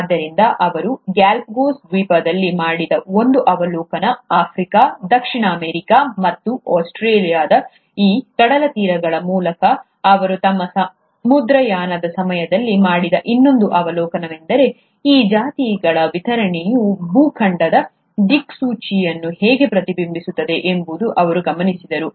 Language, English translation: Kannada, So that was one observation that he made on the Galapagos Islands, the other observation that he made during his voyage across these coastlines of Africa, Southern America, and Australia, was that he observed that the distribution of these species was mirroring how the continental drift actually happened in the earth’s history